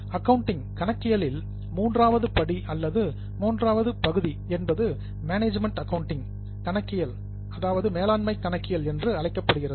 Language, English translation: Tamil, The third step in accounting or a third stream in accounting is known as management accounting